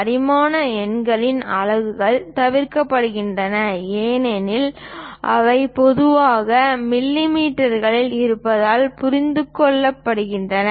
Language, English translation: Tamil, Units are omitted from the dimension numbers since they are normally understood to be in millimeters